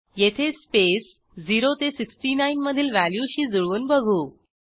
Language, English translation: Marathi, Here, we compare the space between 0 and 69